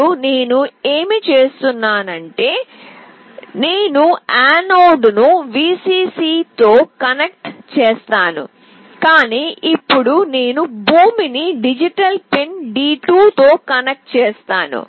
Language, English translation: Telugu, Now what I will do is that, I will connect the anode with Vcc, but now I will connect the ground with digital pin D2